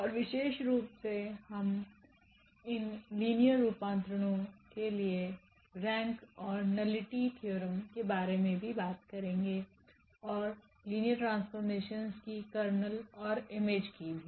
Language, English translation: Hindi, And in particular we will also talk about the rank and nullity theorem for these linear transformations and also the kernel and image of linear transformations